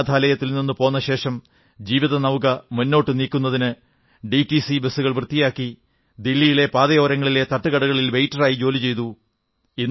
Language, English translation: Malayalam, After leaving the orphanage, he eked out a living cleaning DTC buses and working as waiter at roadside eateries